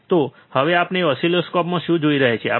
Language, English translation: Gujarati, So, now what we are looking at oscilloscope